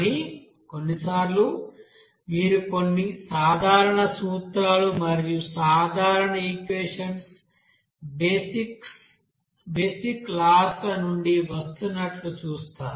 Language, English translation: Telugu, But sometimes you will see that some general you know principles, general equations that are coming from that basic laws